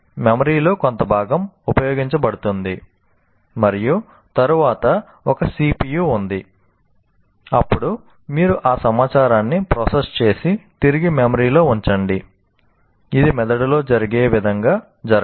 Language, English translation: Telugu, There is some part of the memory is used and then there is a CPU, then you process that information and put it back in the memory